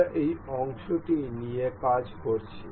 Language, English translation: Bengali, We have been working on this part section